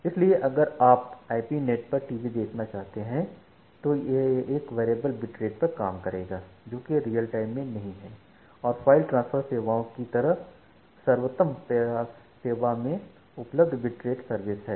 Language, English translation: Hindi, So, if you want to observe a TV over IP network, it is a variable bit rate at the same time it did not to be in real time and then available bit rate service at the best effort service like the file transfer services